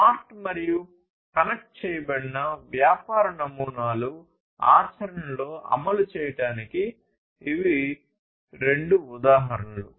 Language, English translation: Telugu, So, these are the two examples of smart and connected business models being implemented in practice